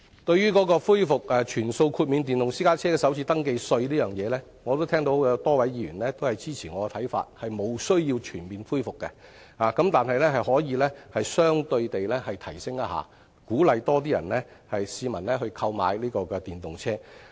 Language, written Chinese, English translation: Cantonese, 對於恢復全數豁免電動私家車首次登記稅方面，我也聽到有多位議員支持我的看法，即是沒有需要全面恢復的，但是可以相對地提升優惠，以鼓勵更多市民購買電動車。, We will aggravate the situation if we leave it until EVs have got problems with that . Regarding the restoration of full waiver of first registration tax FRT for electric private cars I have heard a number of Members echoing my views that it is not necessary to restore the full waiver though a correspondent increase in the concession is acceptable to incentivize members of the public to go for EVs